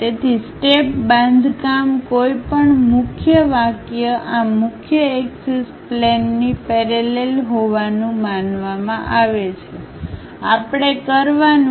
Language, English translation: Gujarati, So, step construction any line supposed to be parallel to this principal axis planes, we have to do